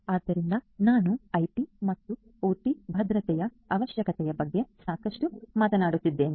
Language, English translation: Kannada, So, I have been telling talking a lot about IT and OT security requirement